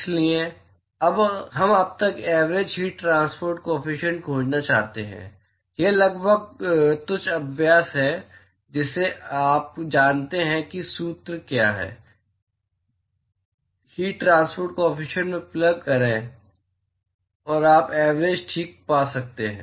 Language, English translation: Hindi, So, we want to find the average heat transport coefficient by now it is the almost trivial exercise you know what is the formula is; plug in the heat transport coefficient and you can find the average ok